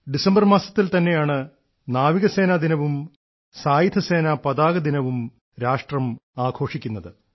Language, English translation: Malayalam, This month itself, the country also celebrates Navy Day and Armed Forces Flag Day